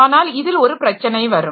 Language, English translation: Tamil, Now here comes the difficulty